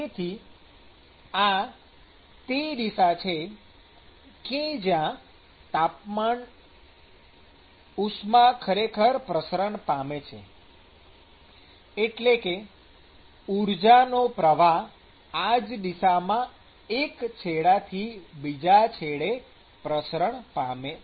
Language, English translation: Gujarati, So, this is the direction in which the heat is actually transported; or the flux of energy that is being transported from one end to the other end is in this direction